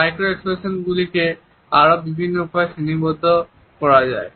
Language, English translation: Bengali, Micro expressions are further classified in various ways